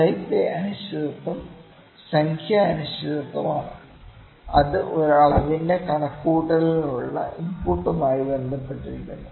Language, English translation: Malayalam, The type A uncertainty is the numerical uncertainty that is associated with an input to the computation of a measurement